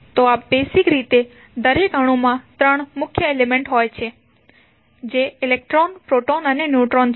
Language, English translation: Gujarati, So, basically the the each atom will consist of 3 major elements that are electron, proton, and neutrons